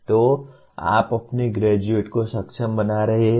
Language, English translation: Hindi, So you are making the your graduates capable